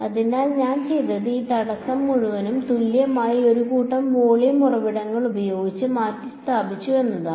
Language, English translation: Malayalam, So, what I have done is I have replaced this entire obstacle by a set of equivalent volume sources right